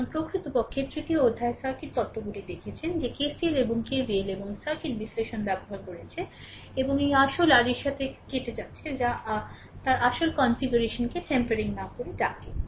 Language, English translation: Bengali, So, circuit theorems actually in chapter 3, we have seen that sometime we have used KCL and KVL right, and circuit analysis and you are tampering with this original your what you call without tampering its original configuration right